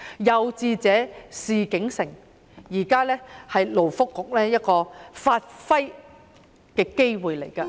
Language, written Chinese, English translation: Cantonese, 有志者事竟成，現在是勞工及福利局發揮的機會。, Where there is a will there is a way . It is now the opportunity for the Labour and Welfare Bureau to play its part